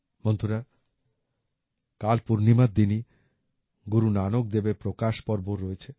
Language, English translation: Bengali, Friends, tomorrow, on the day of the full moon, is also the Prakash Parv of Guru Nanak DevJi